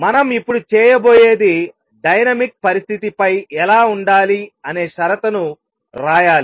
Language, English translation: Telugu, What we are going to do now is write what the condition on the dynamical condition should be